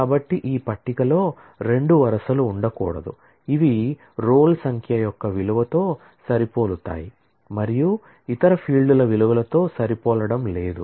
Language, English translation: Telugu, So, there cannot be two rows in this table, which match in the value of the roll number and does not match in the values of the other fields